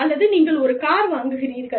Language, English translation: Tamil, Or, you buy a car